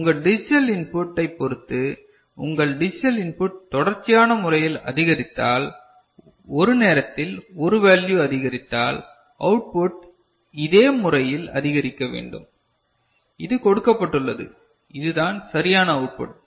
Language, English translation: Tamil, Depending on your digital input if your digital input is increased you know in a continuous manner, you know 1 value at a time, incremented then the output should increase in this manner, is it ok